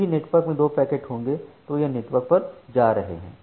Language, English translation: Hindi, So, whenever there are two packets which are going to the network